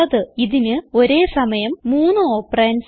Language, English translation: Malayalam, It Takes three operands at a time